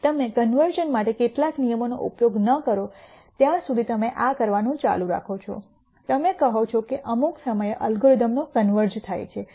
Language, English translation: Gujarati, And you keep doing this till you use some rule for convergence you say at some point the algorithm is converged